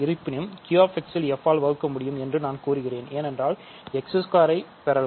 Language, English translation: Tamil, However, I claim we can divide by f in Q[x] because we can get x squared here